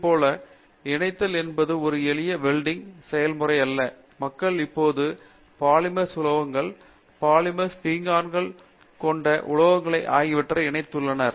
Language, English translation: Tamil, Similarly, Joining is no more a simple welding process; people are now joining polymers with metals okay, polymers with ceramics, metals with ceramics